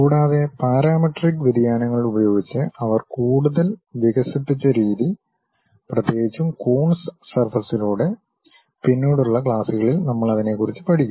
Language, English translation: Malayalam, And, the way they developed further using parametric variations, especially by Coons way of surfaces which we will learn about later classes